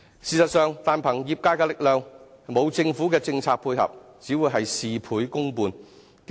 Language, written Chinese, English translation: Cantonese, 事實上，單憑業界的力量，沒有政府的政策配合，只會是事倍功半。, In fact if we only rely on the trade without policy support from the Government we cannot go very far